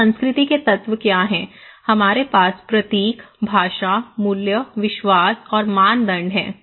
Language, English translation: Hindi, So, what are elements of culture; we have symbols, language, values, beliefs and norms